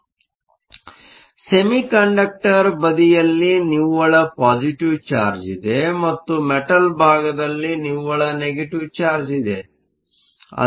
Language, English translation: Kannada, There is a net positive charge on the semiconductor side and there is a net negative charge